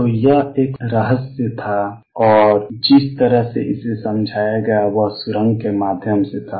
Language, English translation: Hindi, So, this was a mystery and the way it was explain was through tunneling